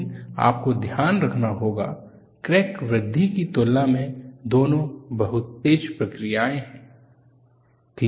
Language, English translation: Hindi, But you will have to keep in mind, both are very fast processes in comparison to crack growth